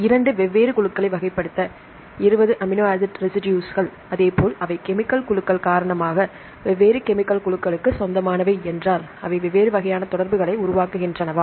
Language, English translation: Tamil, If 20 amino acid residues to classify two different groups, as well as they belong to different chemical groups due to the chemical groups, they form different types of interactions